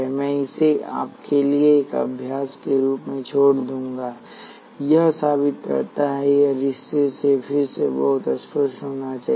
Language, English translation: Hindi, I will leave it as an exercise for you it prove it, it must be again pretty obvious from the relationship